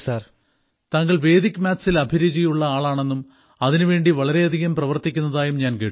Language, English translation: Malayalam, I have heard that you are very interested in Vedic Maths; you do a lot